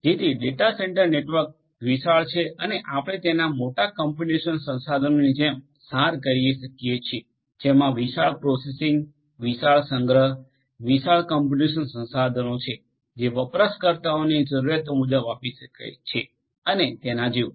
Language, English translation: Gujarati, So, data centre network are huge you know you can abstract a data centre network like a huge computational resource which has huge processing, huge storage, huge computational resources, you know which can be offered to end users as per requirements and so on